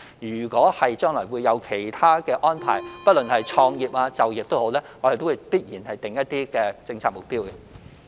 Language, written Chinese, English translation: Cantonese, 如果將來有其他安排，不論是創業或就業，我們必然會訂立一些政策目標。, If there are other arrangements in future be it starting a business or securing employment we will surely set up certain policy targets